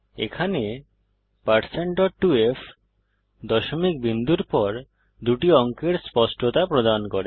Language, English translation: Bengali, Here#160% dot 2f provides the precision of two digits after the decimal point